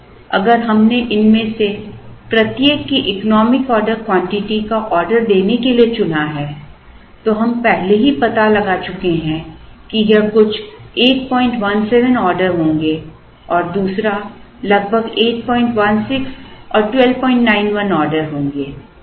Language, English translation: Hindi, Now, if we chose to order the economic order quantities of each of these, then we have already found out that this will be some 8